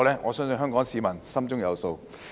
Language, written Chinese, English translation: Cantonese, 我相信香港市民心中有數。, I believe Hong Kong people have a clear idea